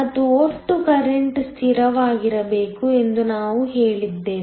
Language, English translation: Kannada, And, we said that the total current should be a constant